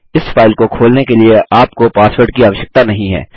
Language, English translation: Hindi, You do not require a password to open the file